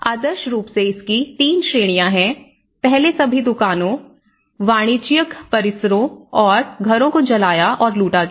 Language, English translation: Hindi, So, ideally there are 3 categories of this; one is the first was burning and looting all the shops, commercial premises and houses